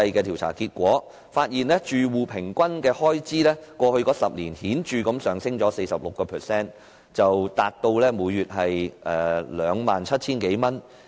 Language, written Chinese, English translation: Cantonese, 調查結果顯示，住戶平均開支在過去10年顯著累積上升 46%， 達至每月 27,000 多元。, According to the findings average household expenditure went up noticeably by a cumulative 46 % during the past decade to about 27,000 per month